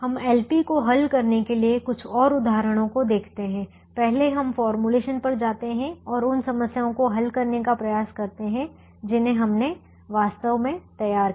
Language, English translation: Hindi, we will look at some more examples to solve l p's before we go to the formulations and try to solve those problems that we had actually formulated